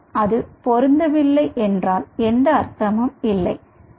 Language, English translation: Tamil, unless it matches, it wont make any sense understand